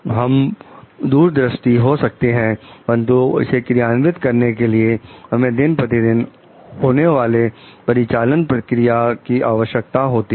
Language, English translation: Hindi, Like we can be a visionary, but to execute it out, we need day to day operational processes